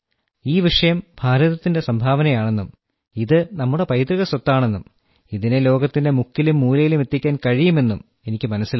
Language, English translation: Malayalam, I understood that this subject, which is a gift of India, which is our heritage, can be taken to every corner of the world